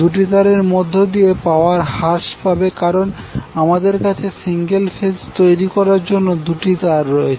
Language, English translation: Bengali, The power loss in two wires because we are having 2 wires to create this single phase circuit